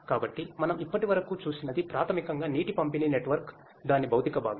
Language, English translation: Telugu, So, what we have seen so far is basically the water distribution network, the physical part of it